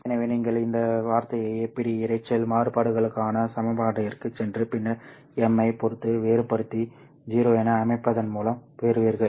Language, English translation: Tamil, So you get this term by going to the equation for the APD noise variance and then differentiating that with respect to m and setting it to 0